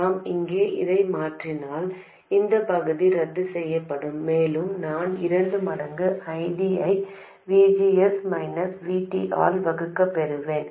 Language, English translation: Tamil, And if I substitute that in here, this part will get cancelled out and I will get 2 times ID divided by VGS minus VT